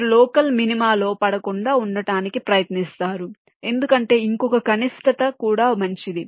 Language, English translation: Telugu, you try to try to avoid from falling into the local minima because there can be another minimum which is even better